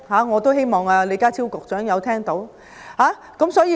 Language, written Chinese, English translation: Cantonese, 我希望李家超局長聽到我說的話。, I hope Secretary John LEE is listening